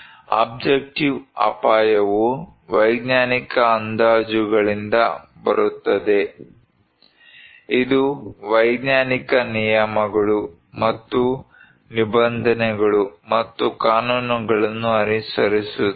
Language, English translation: Kannada, Objective risk that kind of it comes from the scientific estimations, it follows scientific rules and regulations and laws